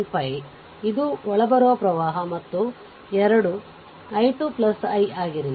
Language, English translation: Kannada, 5, this is incoming current and 2 whether i 2 plus i 3